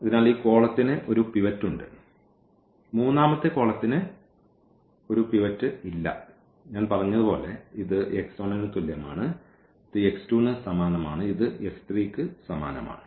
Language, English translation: Malayalam, So, this column has the pivot this column has a pivot the third column does not have a pivot and as I said this we say this corresponding to x 1, this is corresponding to x 2 and this is corresponding to x 3